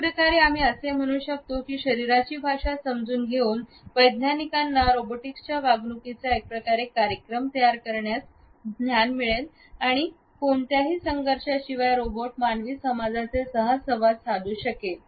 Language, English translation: Marathi, In a way, we can say that the understanding of body language would allow the scientist to program the behaviour of robotics in a manner in which they can interact with human society without any conflict